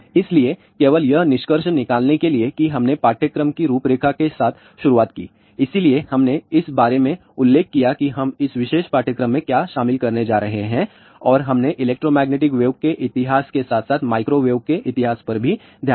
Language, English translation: Hindi, So, just to conclude that we started with the course outline; so, we did mentioned about what are we going to cover in this particular course and we also looked into history of electromagnetic waves as well as history of microwave